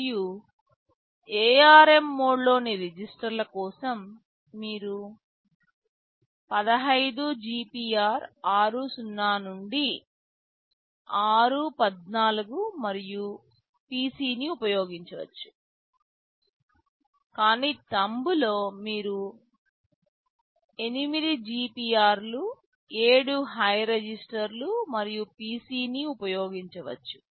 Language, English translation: Telugu, And for registers in ARM mode, you can use the 15 GPR r0 to r14 and the PC, but in Thumb you can use the 8 GPRs, 7 high registers and PC